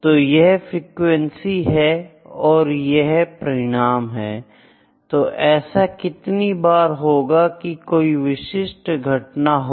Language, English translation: Hindi, It is frequency and it is an outcome here how many times the specific frequency, specific event has occur